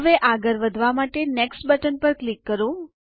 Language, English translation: Gujarati, Now let us click on the Next button to proceed